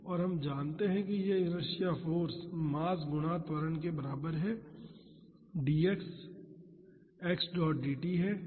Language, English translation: Hindi, And, we know that this inertia force is equal to mass times acceleration and dx is x dot dt